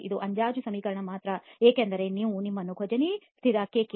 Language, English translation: Kannada, This is only an approximate equation because it makes you something called the Kozeny constant Kk, okay